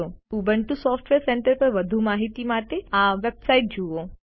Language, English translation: Gujarati, For more information on Ubuntu Software Centre,Please visit this website